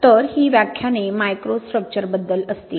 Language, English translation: Marathi, So these lectures will be about microstructure